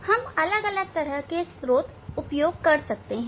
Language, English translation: Hindi, different kind of source we use